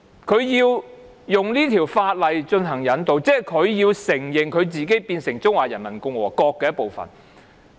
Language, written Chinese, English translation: Cantonese, 台灣容許以這項法例進行引渡，即是承認台灣是中華人民共和國的一部分。, If Taiwan allows extradition under this law it will in effect admit that it is part of the Peoples Republic of China